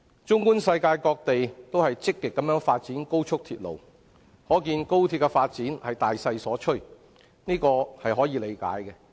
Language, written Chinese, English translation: Cantonese, 綜觀世界，各地均積極發展高速鐵路，可見是大勢所趨，這是可以理解的。, Take a look around and we will see places in every corner of the globe are developing express rail link actively . This is a world trend whose underlying causes we can appreciate